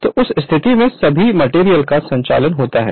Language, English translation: Hindi, So, in that case all all the all the materials are conducting